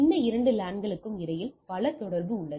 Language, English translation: Tamil, We have multiple connection between these two LANs right